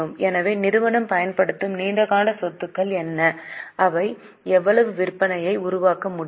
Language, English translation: Tamil, So, what are the long term assets used by the company and how much sales they are able to generate